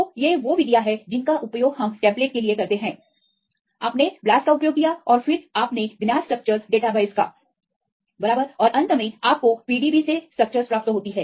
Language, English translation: Hindi, So, these are the methods we use for the template you use the blast and then you use the known structure database right and finally, you get the structures from the PDB right this is fine, ok